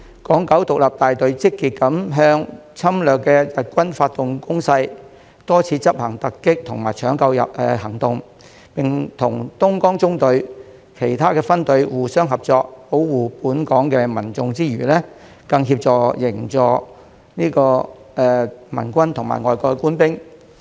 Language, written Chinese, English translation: Cantonese, 港九獨立大隊積極地向侵略的日軍發動攻勢，多次執行突擊和搶救行動，並與東江縱隊其他分隊互相合作，保護本港民眾之餘，更協助營救盟軍和外國官兵。, The Hong Kong Independent Battalion actively launched attacks against the invading Japanese army carrying out quite a number of surprise attacks and rescue missions and cooperated with other platoons of the Dongjiang Column to not only protect Hong Kong people but also help rescue the Allied troops and foreign military personnel